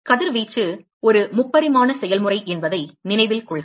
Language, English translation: Tamil, So note that radiation is a 3 dimensional process